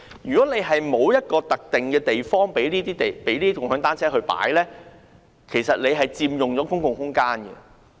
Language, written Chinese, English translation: Cantonese, 如果政府沒有一個特定的地方供共享單車停泊，那些單車其實佔用了公共空間。, If the Hong Kong Government does not provide any designated places for shared bicycles to park it is actually allowing those bicycles to occupy public areas